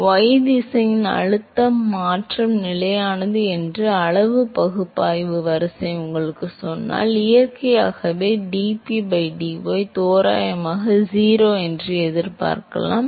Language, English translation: Tamil, So, if you, if the order of magnitude analysis tells you that the pressure change is constant in y direction, then you would naturally expect that dP by dy is approximately 0, again it is approximate